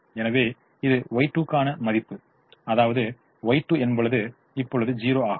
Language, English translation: Tamil, so this is the value for y two: y, y two is zero